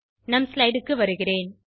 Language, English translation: Tamil, Let us go to the next slide